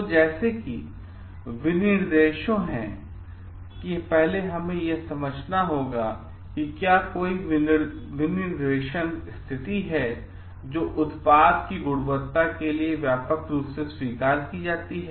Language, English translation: Hindi, So, next is specifications like, do first we have to understand like whether there any state it is specifications, which is widely accepted for the quality of the product